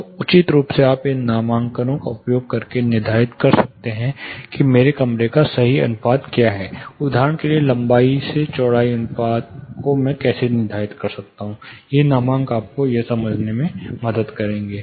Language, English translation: Hindi, So, appropriately you can determine using this nomograms, what is my perfect room ratio, height to; say for example, width, length to width, how do I determine this nomograms will help you understand